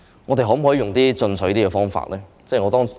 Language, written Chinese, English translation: Cantonese, 我們可否採用更進取的方法？, Can we adopt a more aggressive approach?